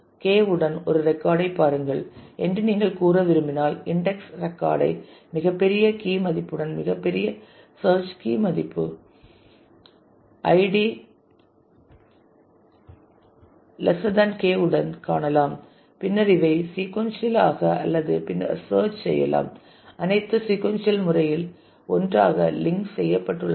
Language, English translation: Tamil, So, in the sorted order so, this if you want to say look at a record with search K value K we can find the index record with the largest key value largest search key value id value which is less than K and then search sequentially or onwards because these are all linked together in the sequential manner